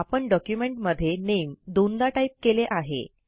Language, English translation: Marathi, Notice that we have typed the word NAME twice in our document